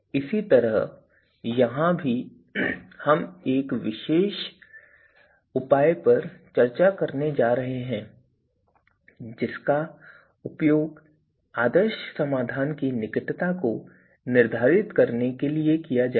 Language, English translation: Hindi, Similarly, here we are going to use we are going to discuss a particular measure which is to be used to determine the closeness to the ideal solution